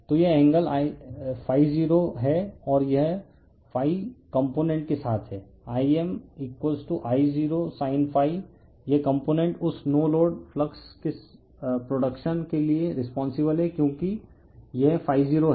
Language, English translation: Hindi, So, this angle is ∅0 and it is your what your call component along ∅ is I m = your I0 sin ∅, this component is responsible for producing that your no load flux because this is ∅0